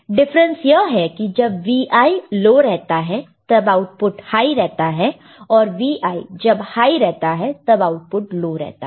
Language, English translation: Hindi, The difference is that Vi is low output is high and Vi is high the output is low – ok